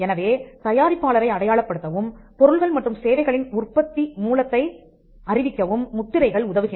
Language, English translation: Tamil, So, marks helps us to identify the producer, or to know more about the origin of goods and services